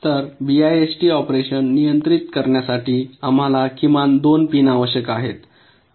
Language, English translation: Marathi, so to control the bist operation we need ah minimum of two pins